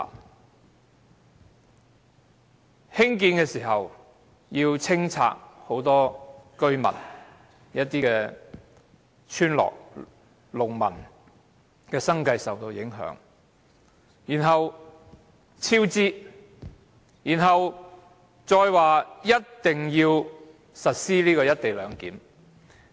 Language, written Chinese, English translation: Cantonese, 當局為興建高鐵，須清拆很多村落民居，影響村民及農民的生計；接着，工程超支；然後，政府又表明一定要實施"一地兩檢"。, In order to build XRL many villages and dwellings were torn down affecting the livelihood of villagers and farmers . After that the project was fraught with cost overruns . Right now the Government insists on implementing the co - location arrangement